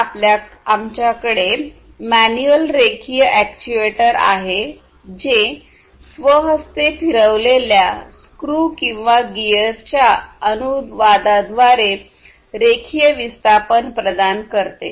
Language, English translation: Marathi, Then we have the manual linear actuator which provides linear displacement through the translation of manually rotated screws or gears